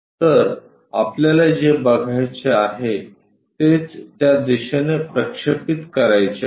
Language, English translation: Marathi, So, what we have to visualize is, in that direction we have to really project